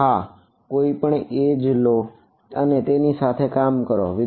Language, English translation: Gujarati, And yeah take any edge and work along it Yeah